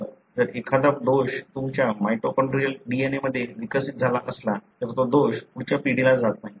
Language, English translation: Marathi, So, any defect that if you have developed in your mitochondrial DNA that is not going to the next generation